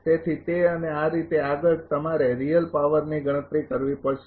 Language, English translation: Gujarati, So, that and this way next one you have to compute the real power